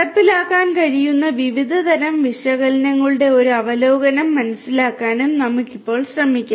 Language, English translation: Malayalam, Let us now try to understand and get an over overview of the different types of analytics that could be executed